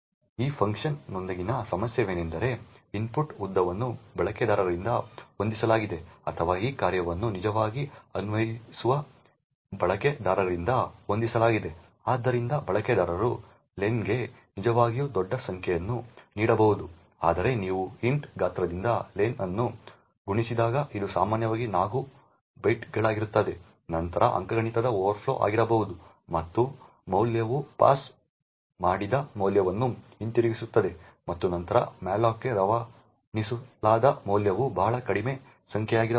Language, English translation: Kannada, The problem with this function is that the input length is set by the user or rather by the user who is actually invoking this function, so therefore the user could actually give a very large number for len such that when you multiply len by size of int which is typically 4 bytes then there could be an arithmetic overflow and the value returned the value passed and then the value passed to malloc could be a very small number